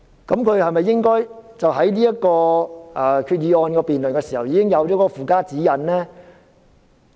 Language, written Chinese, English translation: Cantonese, 是否應該在提出這項決議案辯論時已經訂立附加指引呢？, Should the Government not draw up a supplementary guideline before proposing this Resolution for debate?